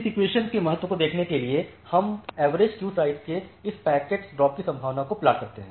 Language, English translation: Hindi, So, to look into the significance of this equation we plot this packet drop probability with respect of average queue size